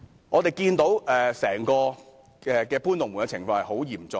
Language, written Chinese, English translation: Cantonese, 我們看到整個搬"龍門"的情況十分嚴重。, We can see that they have moved the goalposts to a very serious extent